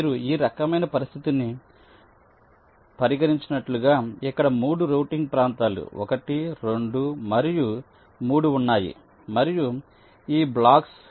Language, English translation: Telugu, like you consider this kind of a situation where there are three routing regions: one, two and three, and these are the blocks